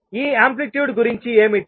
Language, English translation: Telugu, What about this amplitude